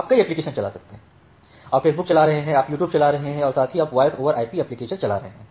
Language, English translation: Hindi, You can run Facebook, you can run YouTube and at the same time you can run voice over IP applications